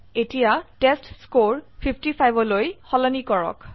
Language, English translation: Assamese, Now Let us change the testScore to 55